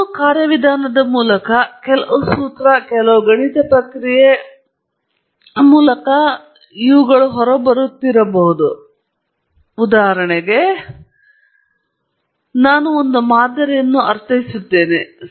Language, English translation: Kannada, Through some mechanism, some formula, some mathematical process and you are getting out, for example, I am computing the sample mean